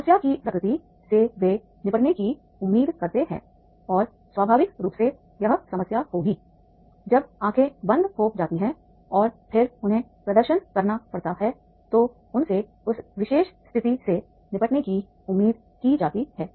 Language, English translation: Hindi, The nature of the problem they are expected to deal with and naturally if this will be the problem when the eyes are closed and then they have to perform then they are expected to deal with that particular situation